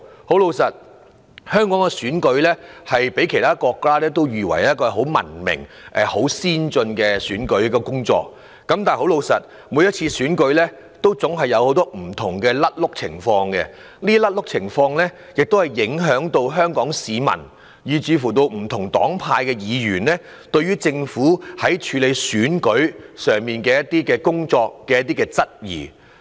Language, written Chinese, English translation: Cantonese, 坦白說，香港的選舉被譽為文明、先進的選舉，但每次選舉總有很多不同錯漏情況，影響香港市民，令不同黨派的議員對於政府處理選舉的工作產生質疑。, Despite the fact that elections in Hong Kong are renowned for being civilized and modern lots of mistakes had actually been found in each of the past elections thereby affecting members of the public and arousing the concerns of Members of different political affiliations about the Governments efforts in conducting elections